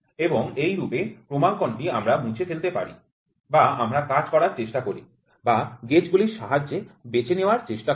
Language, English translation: Bengali, And this is how is the calibration we try to remove or we try to work or to choose with the gauges